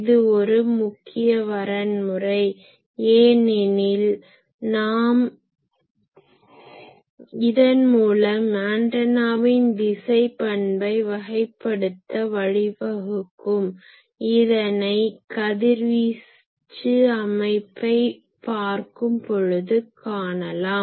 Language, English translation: Tamil, That is an important criteria, because it will lead us to characterize the directional nature of the antenna, which we will discuss when we discuss the radiation pattern etc